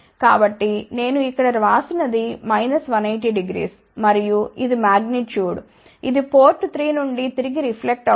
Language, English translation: Telugu, So, this is what I have written here minus 180 degree and this is the magnitude, which is a reflected back from port 3